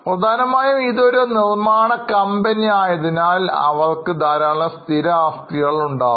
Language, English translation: Malayalam, Mainly because it's a manufacturing company, they have got vast amount of fixed assets